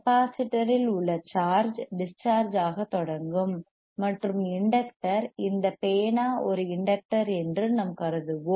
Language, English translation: Tamil, tTheat the charge in the capacitor this will start discharging and inductor, we’ill assume that this pen is an inductor